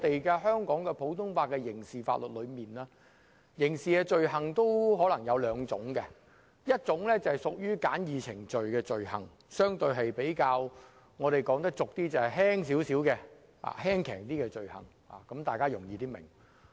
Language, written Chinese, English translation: Cantonese, 在香港普通法的刑事法律中，刑事罪行大致可分為兩種，一種是屬於可按簡易程序治罪的罪行，說得通俗點即較輕的罪行，這樣大家會較易明白。, Under the criminal law of the common law of Hong Kong criminal offences generally fall into two categories . One of them is summary offences or in laymans terms minor offences which will be easier for people to understand